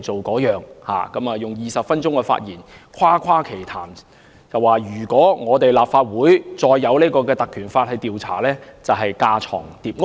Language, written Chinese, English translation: Cantonese, 局長在20分鐘的發言裏誇誇其談，說如果立法會再引用《立法會條例》進行調查就是架床疊屋。, The Secretary has talked eloquently for 20 minutes saying that it would be superfluous for the Legislative Council to invoke PP Ordinance to inquire into the incident